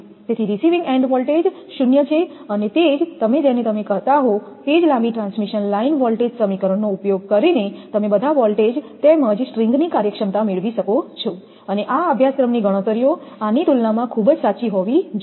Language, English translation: Gujarati, So, receiving and voltage is 0, and using the same your what you call that long transmission line voltage expression, you can get the all the voltages as well as the string efficiency, and this calculation of course, must be very correct one compared to this one